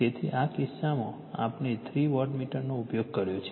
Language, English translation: Gujarati, So, in this case , , in this case we have used three wattmeter is given